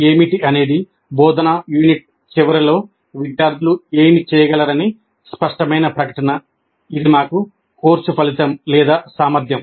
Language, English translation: Telugu, And what is a clear statement of what the students are expected to be able to do at the end of the instructional unit, which is for us the course outcome or competency